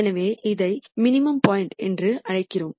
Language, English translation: Tamil, So, we call this as a minimum point